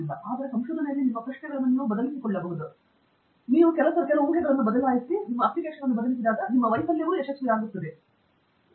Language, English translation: Kannada, So, quite often people miss that point; you change some assumptions, you change the application, you can change so many things to make even your failure become a success